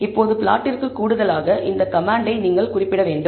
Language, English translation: Tamil, Now in addition to the plot you need to mention this command